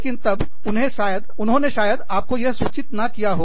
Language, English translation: Hindi, But then, they may not communicate this, to you